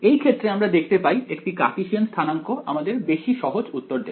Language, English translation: Bengali, In this particular case it turns out that using Cartesian coordinates gives us a simpler answer